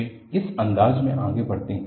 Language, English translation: Hindi, They move in this fashion